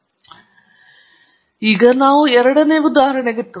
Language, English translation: Kannada, Alright then, so, let’s move on to the second example